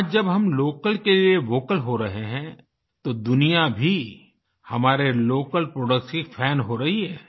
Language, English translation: Hindi, Today when we are going vocal for local, the whole world are also becoming a fan of our local products